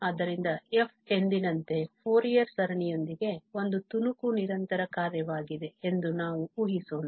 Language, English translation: Kannada, So, let us assume that f is a piecewise continuous function with the Fourier series, as usual